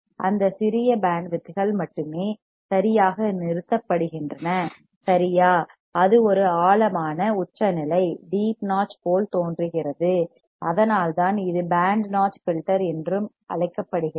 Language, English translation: Tamil, Only that small band of frequencies are stopped right, and it looks like a deep notch and that is why it is called so called band notch filter